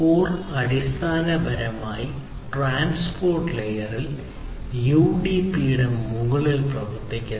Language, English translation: Malayalam, So, core basically works on top of UDP in the transport layer